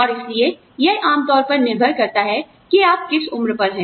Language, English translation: Hindi, And so, that usually depends, on the age, that you are at